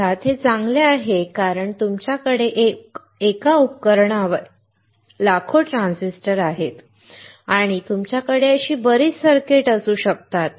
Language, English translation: Marathi, Of course, it is better because you have millions of transistors on one device and you can have lot of circuits